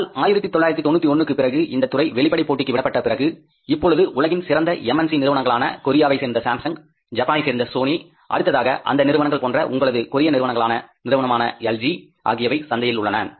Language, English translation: Tamil, But after 1991, when we allowed this sector for the open competition from the MNCs, then we are now today having, say, best MNCs of the world, maybe Samsung from Korea, Sony from Japan, then similarly your LG from Korea, they are now into the market